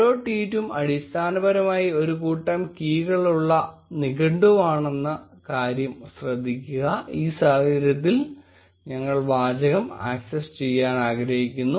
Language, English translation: Malayalam, Note that each tweet is basically a dictionary with a set of keys, in this case we want to access the text